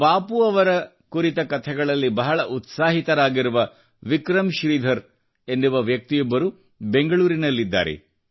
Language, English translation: Kannada, There is Vikram Sridhar in Bengaluru, who is very enthusiastic about stories related to Bapu